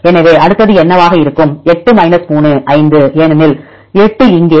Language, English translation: Tamil, So, what will be next one; 8 3 = 5 because 8 here